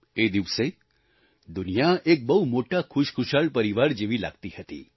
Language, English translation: Gujarati, On that day, the world appeared to be like one big happy family